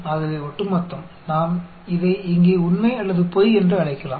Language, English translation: Tamil, So, the cumulative, so, we could call it true or false here